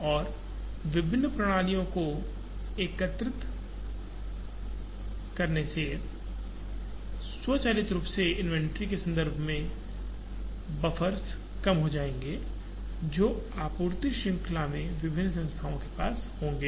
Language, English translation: Hindi, And integrating the various systems would automatically reduce the buffers in terms of inventory that various entities in the supply chain would have